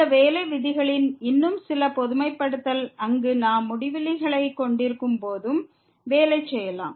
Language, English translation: Tamil, Some more generalization of these working rules, we can also work when we have infinities there